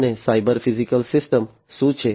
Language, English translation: Gujarati, And what is a cyber physical system